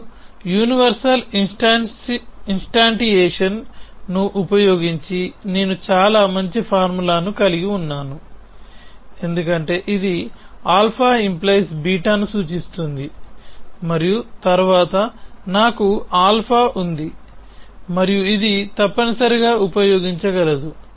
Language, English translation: Telugu, Now, having used universal instantiation I have a formula which is very nice because it is saying alpha implies beta and then I have alpha and I can use which is this essentially